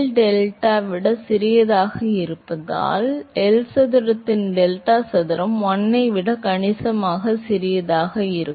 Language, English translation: Tamil, So, therefore, because delta is much smaller than L, delta square by L square will be significantly smaller than 1